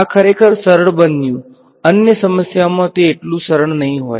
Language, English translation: Gujarati, So, this turned out to be really simple in other problems it will not be so simple